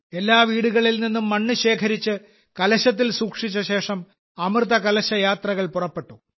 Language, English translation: Malayalam, After collecting soil from every house, it was placed in a Kalash and then Amrit Kalash Yatras were organized